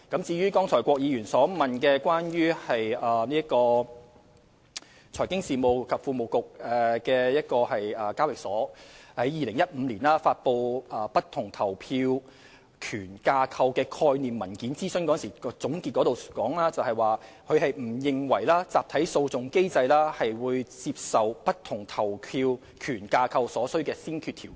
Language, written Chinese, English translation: Cantonese, 至於郭議員剛才問及香港聯合交易所有限公司在2015年發布的不同投票權架構的概念文件，諮詢總結提到聯交所不認為集體訴訟機制是接受不同投票權架構所需的先決條件。, Just now Mr KWOK asked about the concept paper on weighted voting rights published by the Stock Exchange of Hong Kong HKEX in 2015 . In its conclusions it is said that HKEX does not believe that a class action regime is a necessary prerequisite for the acceptability of weighted voting rights structures